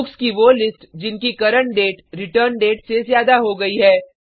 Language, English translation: Hindi, The list of books issued when the current date is more than the return date